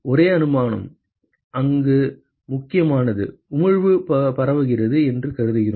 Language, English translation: Tamil, The only assumption, which is important here is that; we assume that the emission is diffuse